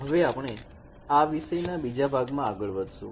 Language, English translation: Gujarati, We will move to the next part of this particular topic